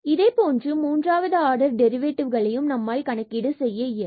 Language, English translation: Tamil, Similarly, we can compute the third order derivative